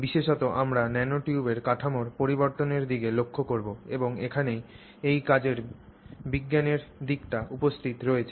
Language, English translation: Bengali, In particular we will look at the variation in structure of the nanotubes and this is where the science aspect of this work is present